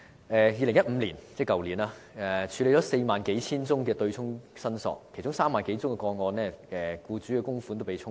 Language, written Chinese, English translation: Cantonese, 2015年，當局處理了4萬多宗對沖申索個案，在其中3萬多宗個案中，僱主的供款被"沖走"。, In 2015 the authorities handled 40 000 - odd cases of offsetting claims and among them the employers MPF contributions in 30 000 - odd cases were offset